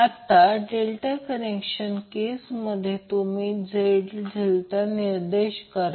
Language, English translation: Marathi, In case of delta connected we will specify as Z delta